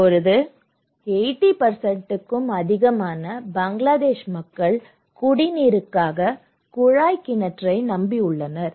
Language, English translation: Tamil, Now, more than 80% Bangladeshi population depends on tube well for drinking water, okay